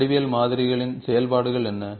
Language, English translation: Tamil, what are the functions of geometric modelling